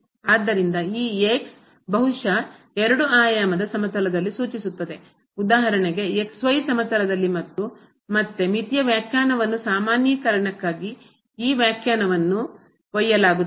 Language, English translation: Kannada, So, this maybe point in two dimensional plane for example, in plane and again, this definition will be carried for generalization the definition of the limit